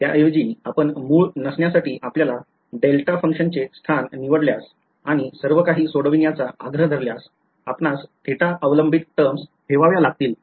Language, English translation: Marathi, Instead if you are chosen your location of a delta function to not be the origin and insisted on solving everything; you would have had to keep the theta dependent terms right